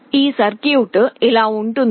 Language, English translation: Telugu, The circuit looks like this